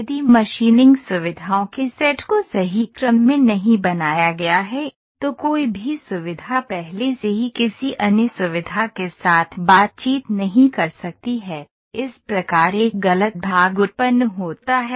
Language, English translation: Hindi, If the set of machining features is not machined in the correct sequence, no feature can interact with another feature already in the part, thus generating an incorrect part